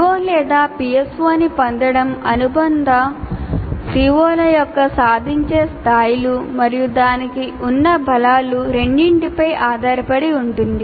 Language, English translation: Telugu, So, attainment of a PO or PSO depends both on the attainment levels of associated COs of core courses and the strengths to which it is mapped